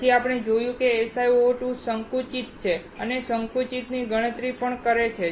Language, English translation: Gujarati, Then, we saw that SiO2 is compressive and also calculated the compressive